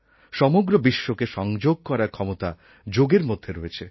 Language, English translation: Bengali, Yoga has the power to connect the entire world